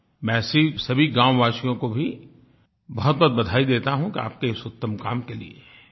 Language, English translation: Hindi, I extend my hearty felicitations to such villagers for their fine work